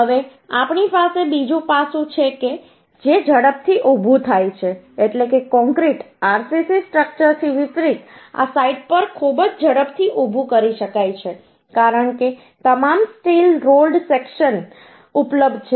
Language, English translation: Gujarati, Now another aspect: we have that faster to erect means, unlike concrete RCC structure uhh, this can be erated at site very quickly uhh because all steel load sections are available